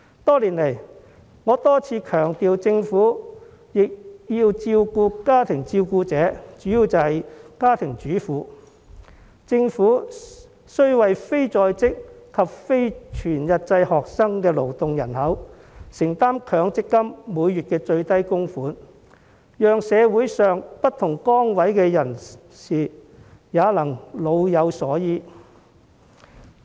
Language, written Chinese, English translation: Cantonese, 多年來，我多次強調政府亦要照顧家庭照顧者，當中主要為家庭主婦，政府須為非在職及非全日制學生的勞動人口承擔強積金每月最低供款，讓社會上不同崗位的人士也能夠老有所依。, Over the years I have repeatedly stressed that the Government has to take care of family caregivers . The Government has to bear the minimum monthly MPF contributions for people in the workforce who are neither employed nor full - time students so that people serving different positions in society can live in dignity in their twilight years